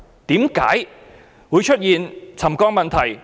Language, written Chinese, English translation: Cantonese, 為何會出現沉降的問題？, Why would settlement take place?